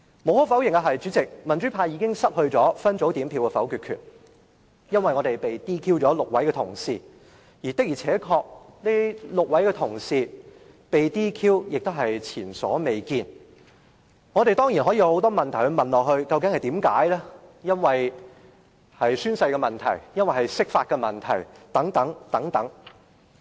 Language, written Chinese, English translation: Cantonese, 無可否認，代理主席，民主派已經失去分組表決否決權，因為民主派有6位同事被 DQ， 而這種情況也是前所未見的，我們當然可以提出很多例如究竟是否由宣誓或釋法引起的問題。, Deputy President the pro - democracy camp has undeniably lost its vetoing power at separate voting because of the DQ of its six colleagues which is unprecedented . Certainly we can raise many questions such as whether the disqualification was triggered by the oath - taking process or interpretation of the Basic Law